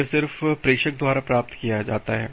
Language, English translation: Hindi, It is just received by the sender